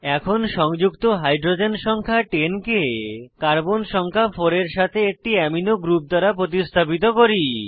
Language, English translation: Bengali, Now, lets replace a hydrogen number 10 attached to the carbon atom number 4 with an amino group